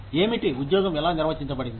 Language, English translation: Telugu, What, how the job is defined